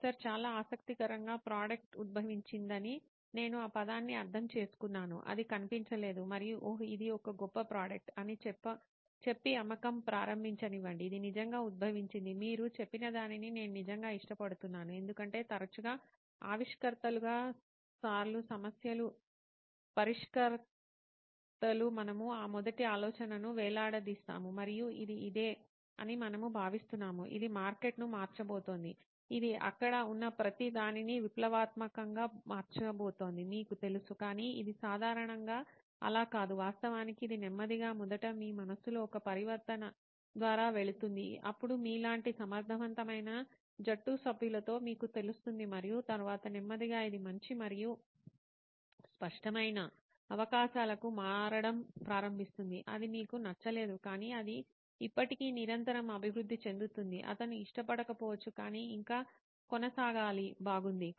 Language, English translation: Telugu, So interesting, I will hold on to that word saying the product evolved, it did not just appear and said oh this is a great product let us start selling it, it actually evolved, I really like what you said because often times as inventors as problems solvers we get hung up on that first idea and we think this is it, this is going to change the market, you know this is going to revolutionize everything that is out there, but it is usually not the case, it actually it slowly goes through a transformation first in your head then you know with able team members like yours and then slowly it starts transitioning into better and brighter prospects then it is and you do not like it but it still continuously evolves also, he may not like it but still has to go on, okay nice